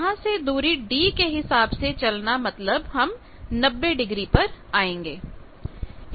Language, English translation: Hindi, So, from here a movement of d means I will come ninety degree here